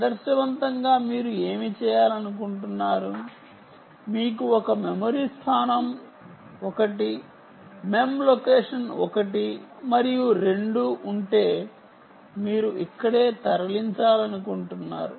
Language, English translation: Telugu, after all, if you have one memory location, one mem location one and two, you just want to move just this here